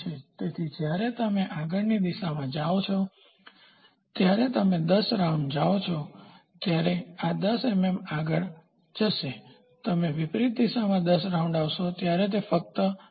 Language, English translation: Gujarati, So, when you move in the forward direction it will move when you go 10 rounds it might move to 10 millimeter when you come in the reverse direction 10 round, it might go only 9